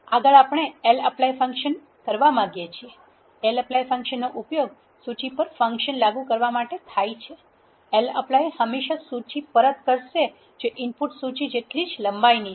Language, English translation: Gujarati, Next we want to lapply function, lapply function is used to apply a function over a list so that is where you have l here